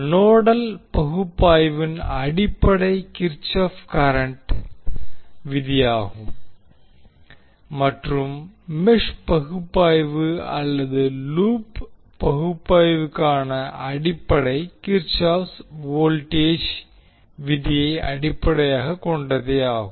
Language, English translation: Tamil, So the basis of nodal analysis is Kirchhoff current law and the basis for mesh analysis that is also called as loop analysis is based on Kirchhoff voltage law